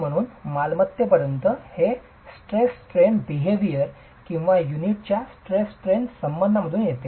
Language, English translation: Marathi, Of course, so this as far as property comes directly from the stress strain behavior or the stress strain relationship of the brick unit